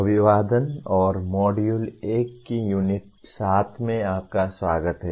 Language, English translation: Hindi, Greetings and welcome to the Unit 7 of Module 1